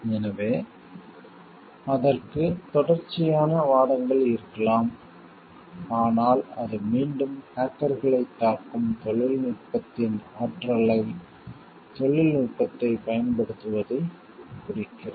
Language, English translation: Tamil, So, there could be series of arguments for it, but what again it hints towards responsive use of the technology the power of technology that people have attack hackers